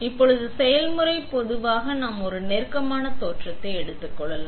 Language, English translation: Tamil, Now, let us slow the process down and take a closer look